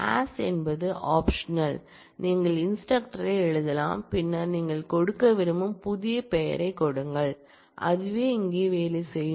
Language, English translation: Tamil, Keyword AS is optional you can just write instructor, and then the name the new name that you want to give and that itself will work here